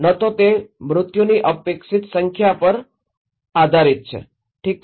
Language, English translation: Gujarati, Neither, it is on expected number of fatalities, okay